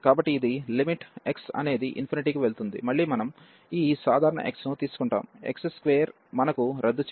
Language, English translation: Telugu, So, this is limit x goes to infinity, and again we will take this common x, so x square we will get cancel